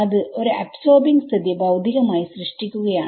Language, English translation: Malayalam, So, that is physically creating a absorbing situation